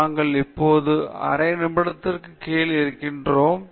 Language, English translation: Tamil, We are now down to a minute in the half